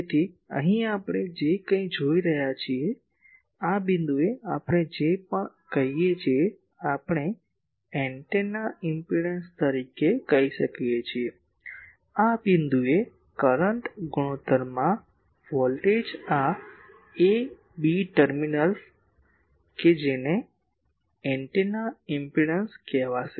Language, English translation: Gujarati, So, here whatever we are seeing the so, at this point whatever we are saying that, we can call as the antennas impedance that means, the voltage to current ratio at this point this a b terminal that will be called the antennas impedance